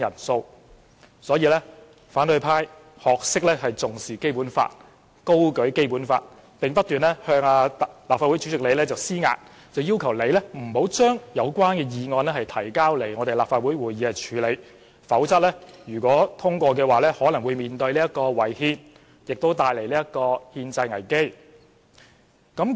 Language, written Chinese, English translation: Cantonese, 所以，反對派聲稱重視《基本法》，高舉《基本法》，並不斷向立法會主席施壓，要求主席不准將有關議案提交立法會會議處理，否則通過後可能會違憲，並帶來憲制危機。, For this reason the opposition camp claims that it attaches importance to the Basic Law holds high the Basic Law and continues to exert pressure on the President of the Legislative Council not to approve the scrutiny of the relevant motion at Council meetings otherwise the passage of the motion will probably be unconstitutional bringing forth a constitutional crisis